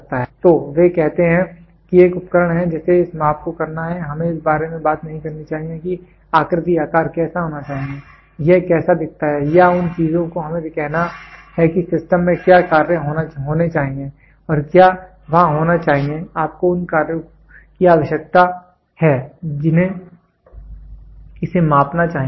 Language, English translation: Hindi, So, try they say here is an instrument which has to be this this this this this measurement we should not talk about what should be the shape size how does it look like or those things we have to say what is the functions which should be there in the system and what should be there you need a functions it should measure